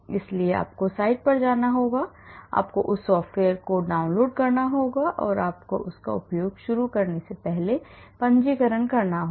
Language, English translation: Hindi, So, you have to go to the site and then you have to download that software and then maybe you have to register before you start using it